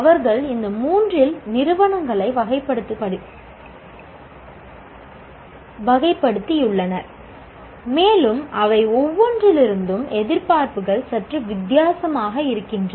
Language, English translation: Tamil, They have classified institutions into these three and the expectations from each one of them are somewhat different